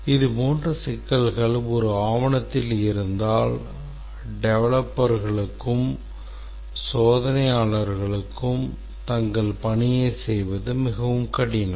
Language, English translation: Tamil, If such problems exist in a document, then it becomes very difficult for the developers or the testers to carry out their task